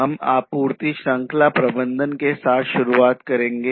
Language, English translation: Hindi, So, we will start with the supply chain management